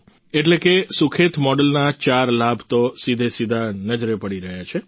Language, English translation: Gujarati, Therefore, there are four benefits of the Sukhet model that are directly visible